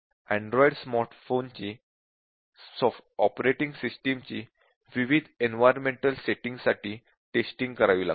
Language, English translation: Marathi, This is another example where Android smart phone has to be tested, the operating system has to be tested for various environmental settings